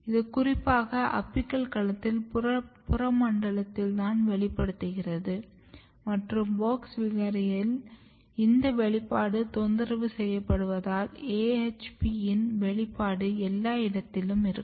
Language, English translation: Tamil, And if you look here it is very specifically expressed only in the peripheral domain of the apical regions and in WOX mutant this expression domain is disturbed and you have AHP expression everywhere